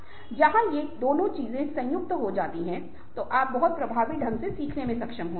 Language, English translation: Hindi, when both these things are combined, then you are able to learn very effectively, very, very meaningfully